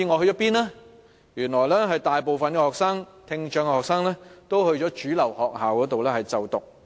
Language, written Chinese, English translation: Cantonese, 原來大部分聽障學生都在主流學校就讀。, It turns out that the majority of students with hearing impairment are studying in mainstream schools